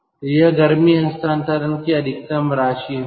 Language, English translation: Hindi, so this will be the maximum amount of heat transfer